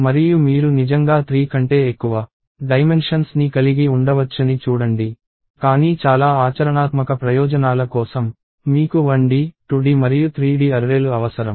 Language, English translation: Telugu, And see you can actually have dimensions more than three also; but for most practical purposes, you will need 1D, 2D, and 3D arrays